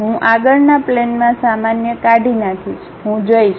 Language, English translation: Gujarati, I will delete this on the frontal plane Normal To I will go